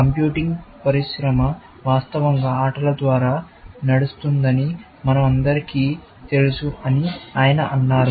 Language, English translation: Telugu, He said that we all know that the computing industry is virtually driven by games, essentially